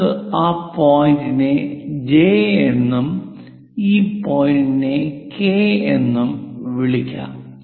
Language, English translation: Malayalam, Let us call this point J, this point K